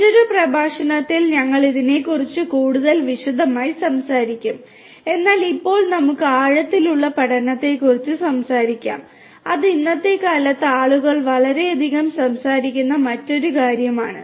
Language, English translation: Malayalam, We will talk about this in little bit more detail in another lecture, but let us now talk about deep learning which is another thing that people are talking about a lot in the present day